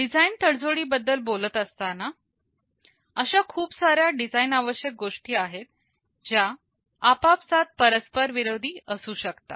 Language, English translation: Marathi, Talking about design tradeoffs, there can be several design requirements that are mutually conflicting